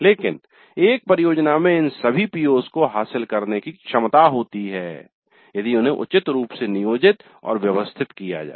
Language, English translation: Hindi, But a project has the potential to address all these POs is appropriately planned and orchestrated